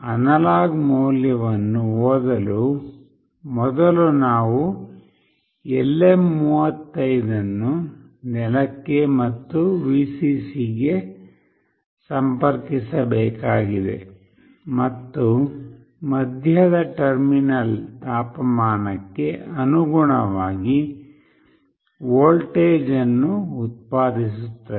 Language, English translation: Kannada, For reading the analog value, firstly we need to connect LM35 to ground and Vcc, and the middle terminal will produce a voltage proportional to the temperature